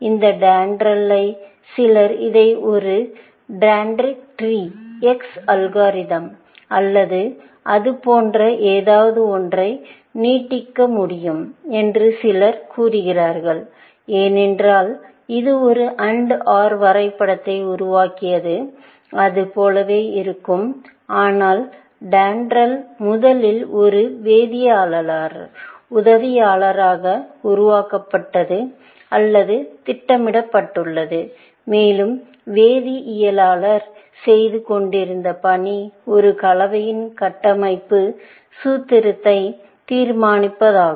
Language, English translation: Tamil, This DENDRAL, basically, also can be, some people say you can extend it to a dentritec tree X algorithm or something like that, because it generated also, an AND OR graph, which look like that, but the idea of DENDRAL was that it was the assistant; it was originally developed or programmed it as an assistant to a chemist, and the task that the chemist was doing was to determining the structural formula of an compound, essentially